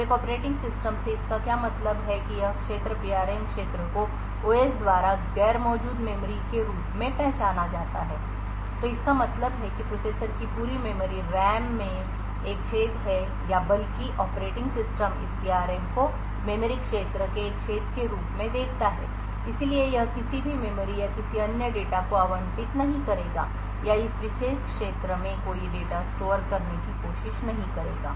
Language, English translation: Hindi, So what this means from an operating system is that this region the PRM region is identified by the OS as non existent memory so it means that there is a hole in the entire memory RAM’s of the processor or rather the operating system sees this PRM as a hole in the memory region and therefore would not allocate any memory or any other data or try to store any data in this particular region